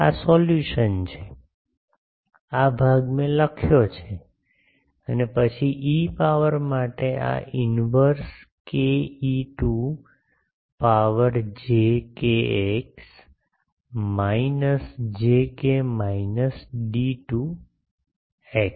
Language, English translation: Gujarati, This is the solution, this part I have written and then e to the power, this is the inverse k e to the power j k x minus j k minus d to x ok